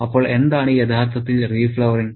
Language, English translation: Malayalam, So, what exactly is re flowering